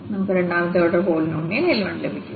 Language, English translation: Malayalam, So, we got this third degree polynomial